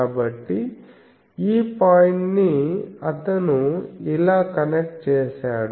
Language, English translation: Telugu, So, this point he has connected like this